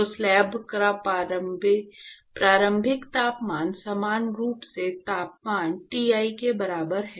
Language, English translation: Hindi, So, the initial temperature of the slab is uniformly equal to the temperature Ti